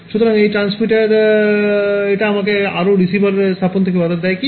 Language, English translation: Bengali, So, let us call this is the transmitter; what prevents me from putting more receivers over here